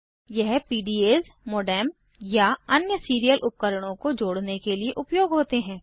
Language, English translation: Hindi, These are used for connecting PDAs, modem or other serial devices